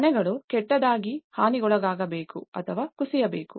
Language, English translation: Kannada, Houses should be badly damaged or collapse